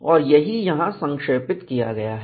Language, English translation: Hindi, And that is what is summarized here